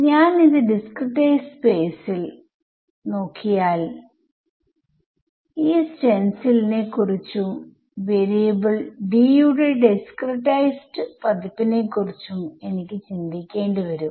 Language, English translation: Malayalam, So, if I want to look at it in discretize space then I have to think of these stencils and discretized versions of which variable D right